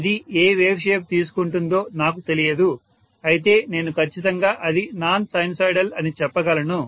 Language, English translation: Telugu, I don’t know what wave shape it will take, but I can say is definitely it is non sinusoidal